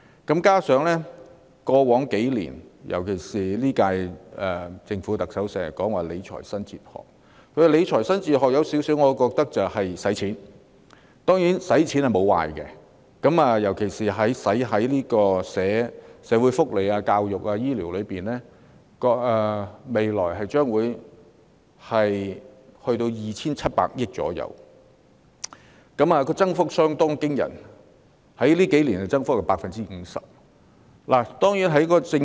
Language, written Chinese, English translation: Cantonese, 加上在過去數年，尤其是今屆政府，特首經常說理財新哲學，而我有點認為她的理財新哲學就是花錢，花錢當然並非壞事，尤其是花在社會福利、教育和醫療方面，但政府未來會就這數個範疇撥款約 2,700 億元，有關預算在數年間增加 50%， 增幅相當驚人。, I somewhat think that her new philosophy of financial management is to spend money . Spending money is of course not a bad thing especially when money is spent on social welfare education and health care . That said the Government will allocate about 270 billion to these areas in the future and the relevant estimates have increased by 50 % in a few years the rate of increase is really astonishing